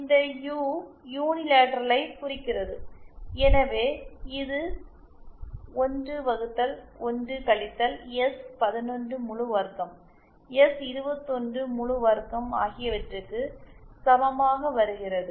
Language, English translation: Tamil, This U represents unilateral so this comes equal to I upon 1 minus S11 whole square, S21 whole square